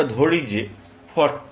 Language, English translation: Bengali, Let us say that is 40